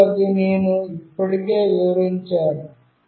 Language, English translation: Telugu, And what it does I have already explained